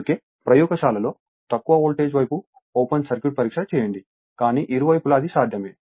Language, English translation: Telugu, That is why you perform open circuit test on thelow voltage side in the laboratory, But either side, it is possible